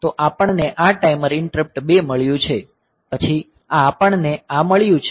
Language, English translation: Gujarati, So, we have got this timer interrupt 2, then this we have got this